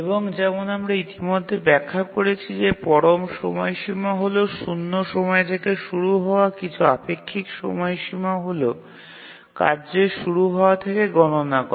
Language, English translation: Bengali, And we already explained the absolute deadline is a terminology we use to give absolute time to the deadline starting from time zero, whereas relative deadline is counted from the release of the task